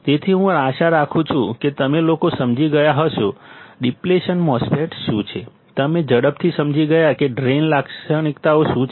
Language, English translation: Gujarati, So, I hope that you guys understood, what is a depletion MOSFET; you understood quickly what are the Drain characteristics